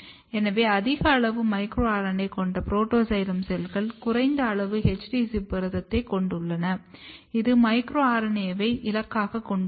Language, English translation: Tamil, And the cells, protoxylem cells therefore which has high amount micro RNA has low amount of HD ZIP protein which is target of micro RNA